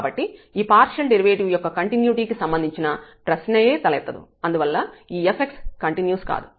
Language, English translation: Telugu, So, there is no question about the continuity of this partial derivative hence this f x is not continuous